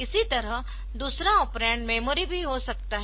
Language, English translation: Hindi, So, this similarly the second operand can be memory also